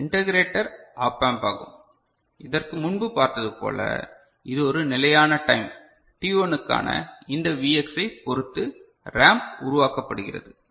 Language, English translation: Tamil, So, this is the integrator op amp that you can see, have seen before so, this depending on this Vx for a fixed time t1, the ramp is generated